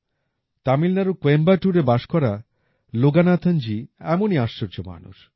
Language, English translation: Bengali, Loganathanji, who lives in Coimbatore, Tamil Nadu, is incomparable